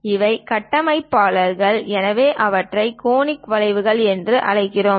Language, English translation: Tamil, These are constructors, so we call them as conic curves